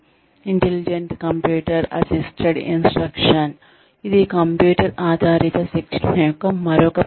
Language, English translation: Telugu, Intelligent computer assisted instruction, is another method of computer based training